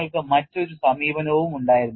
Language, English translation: Malayalam, You also had another approach